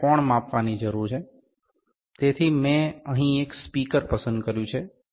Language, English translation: Gujarati, We need to measure the angle of so this is I have just picked a speaker here